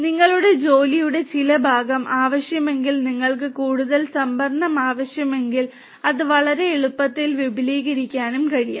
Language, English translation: Malayalam, That you know some part of your job if it requires that you need more storage that also can be expanded very easily